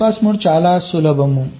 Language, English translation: Telugu, bypass mode is fairly simple